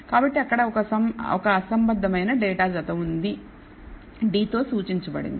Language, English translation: Telugu, So, there is a discordant pair of data that is indicated by D